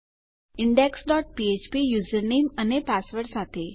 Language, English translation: Gujarati, index dot php with a user name and password